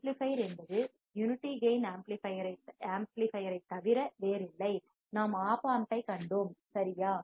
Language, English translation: Tamil, The amplifier is nothing but unity gain amplifier, we have seen the OP Amp right